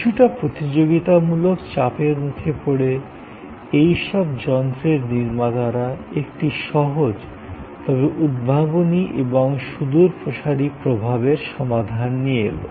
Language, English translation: Bengali, Under some competitive pressures, the manufacturers of earth moving machineries came up with a simple, but innovative and in some way, a solution of far reaching impact